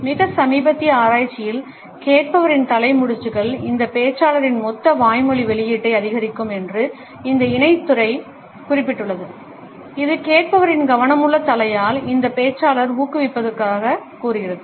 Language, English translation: Tamil, In a more recent research this co field has noted that head nods by the listener increase the total verbal output of this speaker, that suggest that this speaker is encouraged by the attentive head nods of the listener